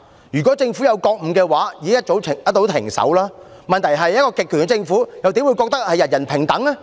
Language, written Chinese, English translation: Cantonese, 如果政府有覺悟，一早已經停手，問題是一個極權的政府，又怎會認為人人平等？, If the Government was aware of its wrongdoings it should stop doing wrong . But will an authoritarian government consider that everyone is equal?